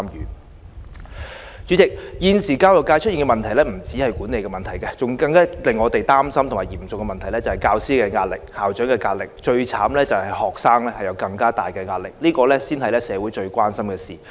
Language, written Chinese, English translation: Cantonese, 代理主席，現時教育界出現的問題不止是管理問題，我們更擔心的嚴重問題是教師有壓力，校長有壓力，最慘是學生有更大的壓力，這才是社會最關心的事。, Pressure is a more worrying issue . Not only are teachers and school principals under pressure students are under even greater pressure . This is what our society worries most